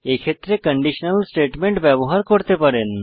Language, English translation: Bengali, In such cases you can use conditional statements